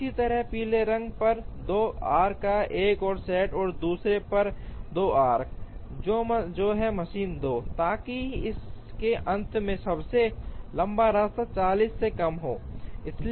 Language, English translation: Hindi, Similarly, another set of 2 arcs on the yellow and another 2 arcs on the other, which is machine 2, so that at the end of it the longest path is less than 40